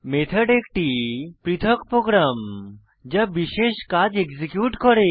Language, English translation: Bengali, A Method is a self contained program executing a specific task